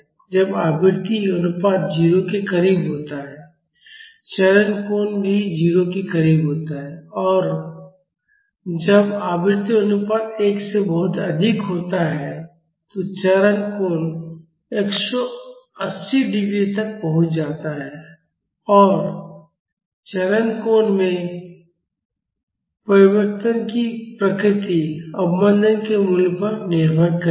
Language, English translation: Hindi, When the frequency ratio is close to 0, the phase angle is also close to 0 and when the frequency ratio is much higher than 1, the phase angle approaches 180 degree and the nature of the changes in phase angle will depend upon the value of damping